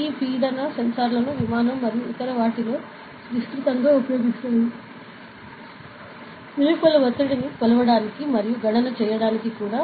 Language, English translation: Telugu, So, this pressure sensors are widely used in aircraft and other things, to measure the pressure outside and do the calculation as well as